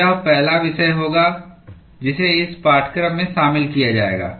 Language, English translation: Hindi, So, that will be the first topic that will be covered in this course